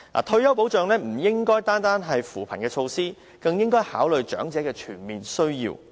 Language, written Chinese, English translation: Cantonese, 退休保障不應單單是扶貧措施，更應考慮長者的全面需要。, Retirement protection should not only be a poverty alleviation measure for the comprehensive needs of the elderly should also be considered